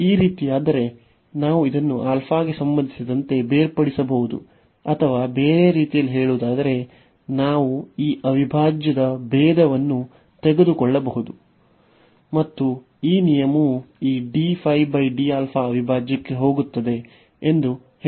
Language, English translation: Kannada, So, if this is the case, we can differentiate this phi with respect to alpha or in other words we can take the differentiation of this integral, and the rule says that this d over d alpha will go into the integral